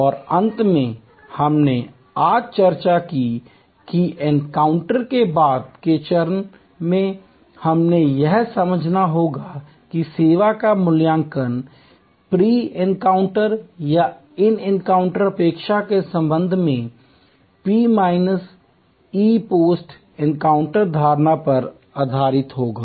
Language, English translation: Hindi, And finally, we have discussed today that in the post encounter stage, we have to understand that the customers evaluation of service will be based on P minus E post encounter perception with respect to pre encounter or in encounter expectation